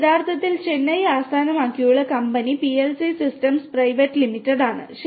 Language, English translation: Malayalam, It is actually a Chennai based company PLC systems private limited